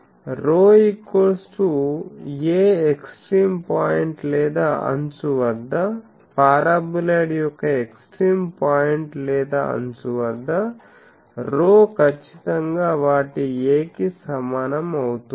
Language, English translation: Telugu, Rho is a so, rho at extreme point or edge; at extreme point or edge of the paraboloid, rho is definitely equal to their a